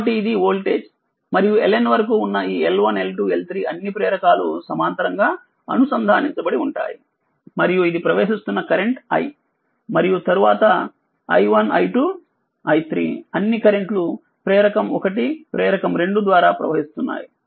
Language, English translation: Telugu, So, this is the voltage and this L 1 L 2 L 3 up to L N all inductors are connected in parallel and this is the current entering into i right and then i1 i2 i3 all current going through inductor 1 inductor 2 like this